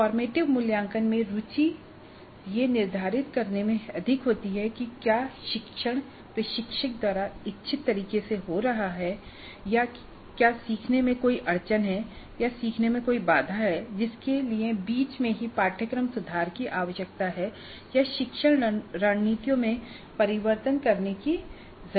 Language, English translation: Hindi, In formative assessment the interest is more on determining whether the learning is happening the way intended by the instructor or are there any bottlenecks in learning or any sticky points in learning which require some kind of a mid course correction, some kind of a change of the instructional strategies